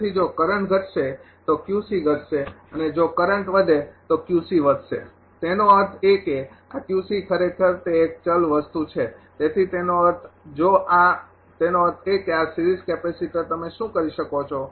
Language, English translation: Gujarati, So, if the current ah decreases then Q c will decrease if current increases Q c will increase; that means, this Q c actually it is a variable thing so; that means, if ah this this; that means, this series capacitor what you can do is